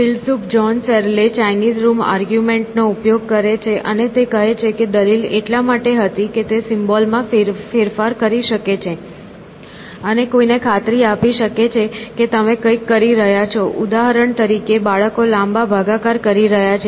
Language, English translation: Gujarati, John Searle, a philosopher, use the Chinese Room argument; and he says the argument was that just because he can manipulate symbols and convince somebody that you are doing something, like for example, children doing long division